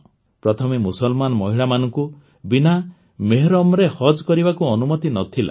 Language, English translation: Odia, Earlier, Muslim women were not allowed to perform 'Hajj' without Mehram